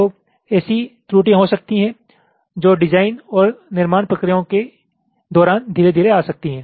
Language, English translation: Hindi, so there can be such errors that can creep in during the design and fabrication processes